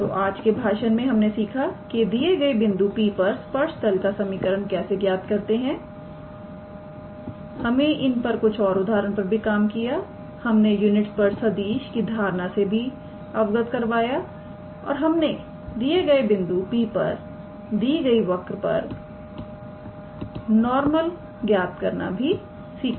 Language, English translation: Hindi, So, in today’s lecture we saw how we derive the equation of a tangent plane at a point P we worked out few examples we also gave the concept of a unit tangent vector and we derived the normal at a point P to a given curve